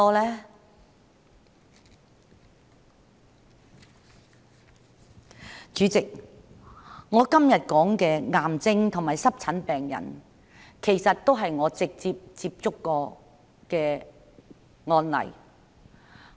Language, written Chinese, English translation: Cantonese, 代理主席，我今天說的癌症和濕疹病人，其實都是我直接接觸過的案例。, Deputy President the cancer and eczema patients I mention today are actually cases I have directly contacted